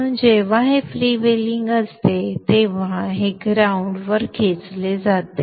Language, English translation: Marathi, So when this is freewheeling this is pulled to the ground